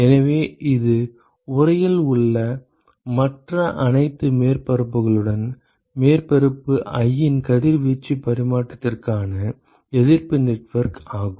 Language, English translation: Tamil, So, that is the resistance network for radiation exchange of surface i with all other surfaces in the enclosure ok